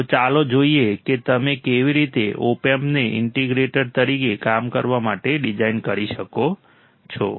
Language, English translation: Gujarati, So, let us see how you can design an opamp to work it as an integrator